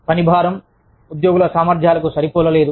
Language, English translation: Telugu, Workload, not matched to employee capacities